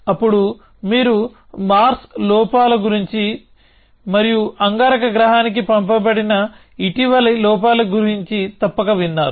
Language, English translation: Telugu, Then, you must have heard about mars lowers and the more recent lowers that have been sent to mars